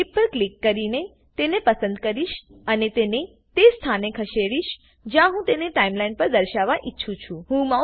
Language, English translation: Gujarati, I will choose the clip by clicking on it and drag it to the position that I want it to appear on the Timeline